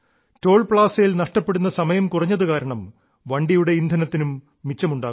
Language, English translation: Malayalam, Due to this reduced waiting time at the Toll plaza, fuel too is being saved